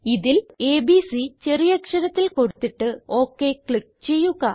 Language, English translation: Malayalam, Enter abc in small case in it and click OK